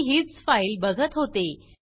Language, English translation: Marathi, This is the file I am looking at